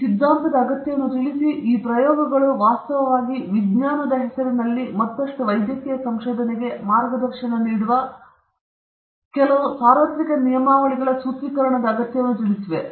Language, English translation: Kannada, This, underlined the need for postulating, these trials actually underlined need for postulating certain universal codes of conduct that would guide any further medical research in the name of science